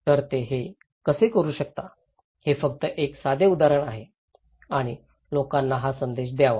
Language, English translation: Marathi, So, this is just one simple example that how they can do it and this message should be given to the people